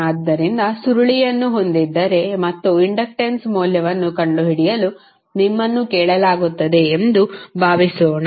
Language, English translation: Kannada, So, suppose if you have a coil like this and you are asked to find out the value of inductance